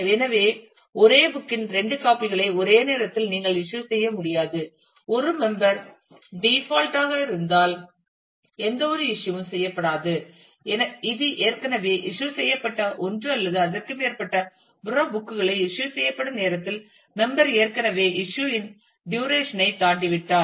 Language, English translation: Tamil, So, you cannot issue two copies of the same book at the same time no issue will be done to a member if he is kind of a default that is the time of at the time of issue one or more of the other books already issued by the member has already exceeded the duration of the issue